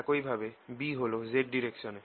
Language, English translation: Bengali, similarly, b is in the z direction